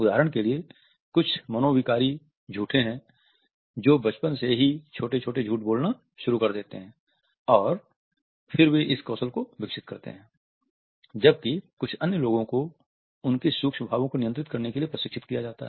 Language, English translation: Hindi, For example, there are some pathological liars who are able to get away with is small lies when they are children and then they develop this skill whereas, some other people are trained to control their micro expressions